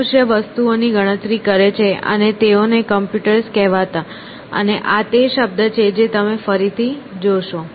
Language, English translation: Gujarati, The human beings computed things and they were called computers essentially; and this is the term that you will see again later sometime